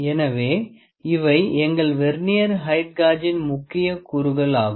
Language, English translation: Tamil, So, these are the major components of our Vernier height gauge